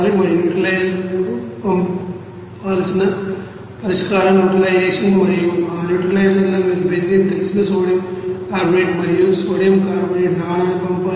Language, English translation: Telugu, And that solution to be send to the neutralizer for it is neutralization, and in that neutralizer you have to send that you know sodium carbonate and sodium carbonate solution of you know along with that you know benzene